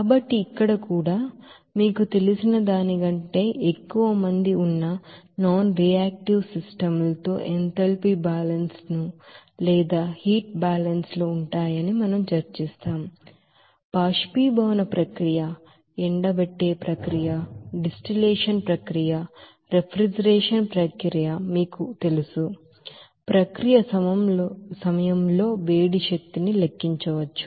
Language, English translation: Telugu, So here again, we will discuss that enthalpy balances or heat balances there with nonreactive systems where there will be more than one you know, streams will be there in the process like evaporation process, drying process, distillation process, even refrigeration process, how this you know, heat energy can be calculated during the process